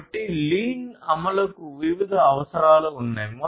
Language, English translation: Telugu, So, implementation of lean has different requirements